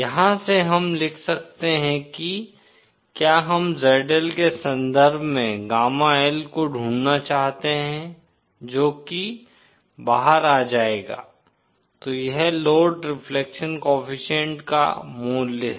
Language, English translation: Hindi, From here, we can write if we want to find gamma L in terms of ZL that will come out toÉSo this is the value of load reflection coefficient